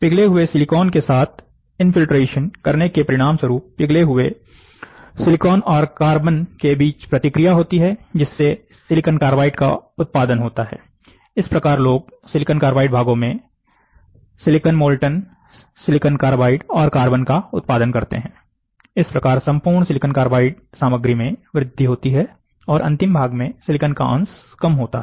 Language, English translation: Hindi, Infiltration with molten silicon will result in the reaction between the molten silicon and the carbon to produce SiC, this is how people produce SiC parts, Si molten SiC and carbon, thus increasing the overall SiC content and reducing the fraction of Si in the final part